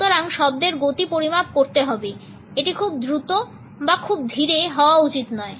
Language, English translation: Bengali, So, the speed of the words has to be measured, it should neither be too fast nor too slow